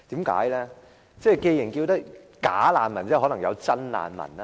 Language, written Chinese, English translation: Cantonese, 既然有"假難民"，即可能有真難民吧？, Since there are bogus refugees there may also be genuine refugees